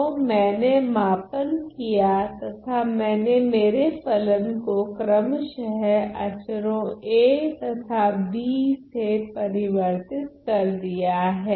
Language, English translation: Hindi, So, I have scaled and I have shifted my function by the respective constants a and b ok